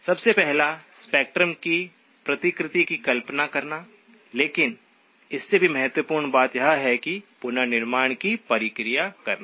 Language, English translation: Hindi, One is to first of all visualize the replication of spectrum but more importantly, the process of reconstruction